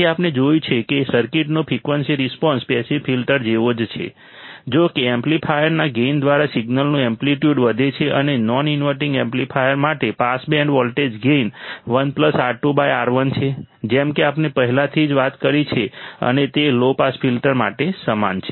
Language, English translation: Gujarati, So, what we have seen is the frequency response of the circuit is same as that of the passive filter; however, the amplitude of signal is increased by the gain of the amplifier and for a non inverting amplifier the pass band voltage gain is 1 plus R 2 by R 1 as we already talked about and that is the same for the low pass filter